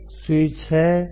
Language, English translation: Hindi, there is a switch